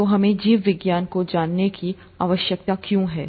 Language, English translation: Hindi, So, why do we need to know biology